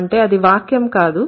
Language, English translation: Telugu, Why this is not a sentence